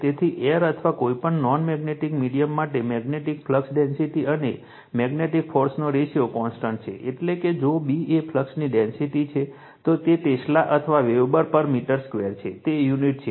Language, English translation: Gujarati, So, for air or any non magnetic medium, the ratio of magnetic flux density to magnetizing force is a constant, that is if your B is the flux density, it is Tesla or Weber per meter square it is unit right